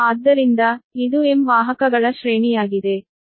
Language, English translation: Kannada, so this is the array of m conductors